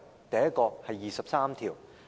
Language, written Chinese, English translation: Cantonese, 第一，是第二十三條。, The first one is Article 23